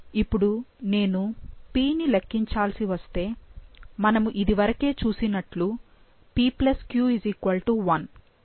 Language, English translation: Telugu, Now, if I have to calculate p, going back again, p+q = 1